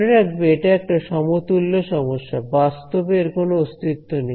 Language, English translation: Bengali, Remember this is a equivalent problem this does not physically exist